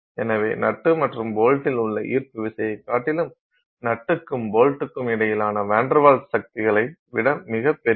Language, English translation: Tamil, So, the gravitational force on the nut and bolt is way larger than that of the VanderWals forces between the nut and the bolt